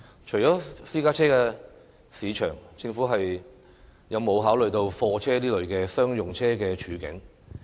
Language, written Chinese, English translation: Cantonese, 除了私家車市場，政府有否考慮貨車等商用車的處境？, Apart from the private car market has the Government considered the situation of commercial vehicles such as goods vehicles?